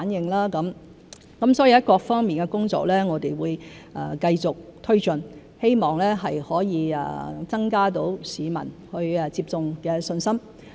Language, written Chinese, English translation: Cantonese, 我們會繼續推進各方面的工作，希望可以增加市民接種的信心。, We will continue to take forward our work in various aspects in the hope of boosting peoples confidence in vaccination